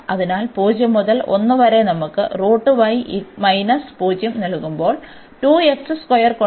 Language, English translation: Malayalam, So, y goes from 0 to 1